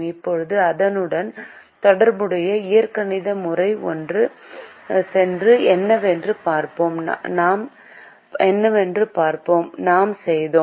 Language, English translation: Tamil, now let us go back to the corresponding algebraic method and let us see what we did